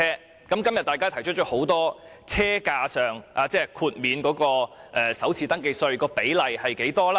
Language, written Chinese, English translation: Cantonese, 政府近日便提出了很多車價上的財政誘因，包括提高首次登記稅寬減。, Recently the Government rolled out many financial incentives concerning EVs prices including an increase of the first registration tax FRT concession